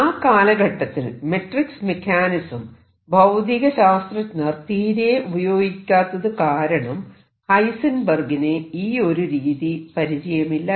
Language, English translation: Malayalam, So, Heisenberg did not know matrix mechanics at that time physicist did not use them he discovered this through this